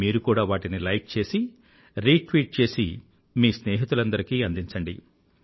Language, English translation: Telugu, You may now like them, retweet them, post them to your friends